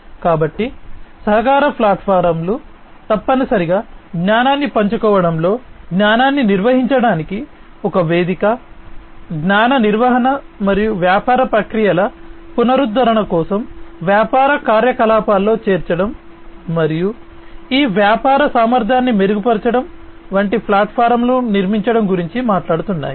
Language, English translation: Telugu, So, collaboration platforms essentially are talking about building platforms that will include in the sharing of knowledge, a platform for managing the knowledge, knowledge management and including it in the business operation for renovation of the business processes and improving upon the efficiency of these business processes in the future